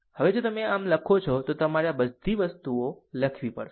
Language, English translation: Gujarati, Now, if you write like this, that then you have to write this thing